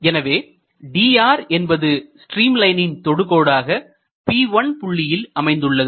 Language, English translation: Tamil, So, dr in that differential limit is tangent to the stream line at which point at P1